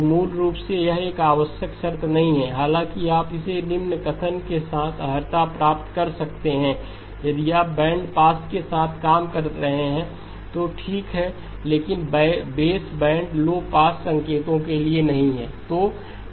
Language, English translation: Hindi, So basically it is not a necessary condition; however, you can qualify it with the following statement that if you are dealing with not if for baseband low pass signals okay